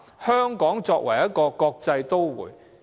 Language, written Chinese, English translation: Cantonese, 香港是一個國際都會。, Hong Kong is a cosmopolitan city